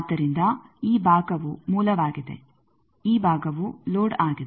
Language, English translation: Kannada, So, this side is source, this side is load